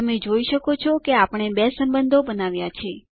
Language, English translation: Gujarati, You can see that we just created two relationships